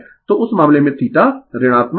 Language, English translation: Hindi, So, in that case theta is negative right